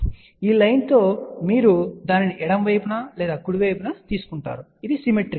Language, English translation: Telugu, So, you can see that with this line, you take it on the left side or right side it is symmetrical